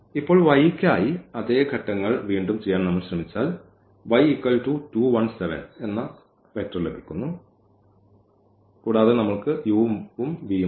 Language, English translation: Malayalam, Now, if we try to do for the y again the same steps so now the y is 2 1 7 and we have this u and v